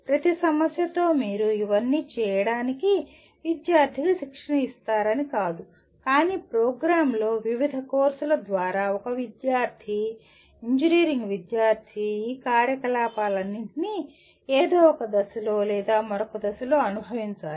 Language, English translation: Telugu, It does not mean that with every problem you train the student to do all these, but in the program through various courses a student, an engineering student should experience all these activities at some stage or the other